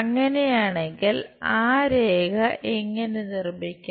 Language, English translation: Malayalam, If that is the case how to construct that line